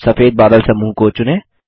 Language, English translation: Hindi, Select the white cloud group